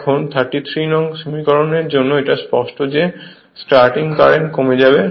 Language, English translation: Bengali, Now, for equation 33 it is clear that starting current will reduce right